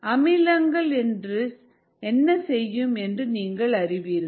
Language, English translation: Tamil, you all know what an acid does